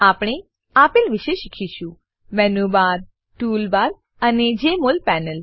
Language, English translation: Gujarati, We will learn about Menu Bar, Tool bar, and Jmol panel